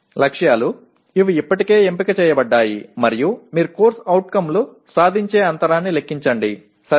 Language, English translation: Telugu, Targets, these are already selected and then you compute the CO attainment gap, okay